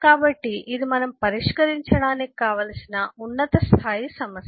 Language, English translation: Telugu, So this is the top level problem that eh, we want to, uh, actually address solve